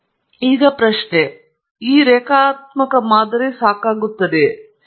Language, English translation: Kannada, Now the question is if this linear model is sufficient